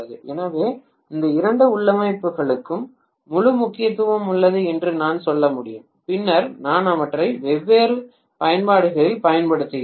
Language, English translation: Tamil, So I can say that these two configurations have a whole lot of significance then I am actually employing them in different applications